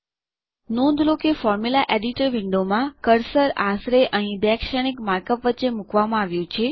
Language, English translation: Gujarati, Notice that the cursor in the Formula Editor Window is placed roughly between the two matrix mark ups here